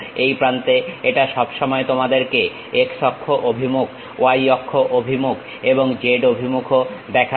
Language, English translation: Bengali, On the terminal it always shows you the x axis direction, y axis direction, z direction also